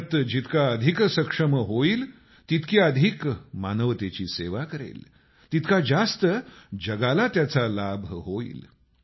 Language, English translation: Marathi, The more India is capable, the more will she serve humanity; correspondingly the world will benefit more